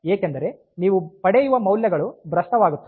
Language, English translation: Kannada, So, then the values that you get will be corrupted